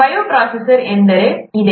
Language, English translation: Kannada, This is what the bioprocess is